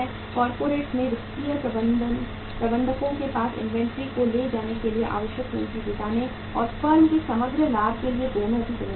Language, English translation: Hindi, Financial managers in corporates have a responsibility both for raising the capital needed to carry inventory and for the firm’s overall profitability right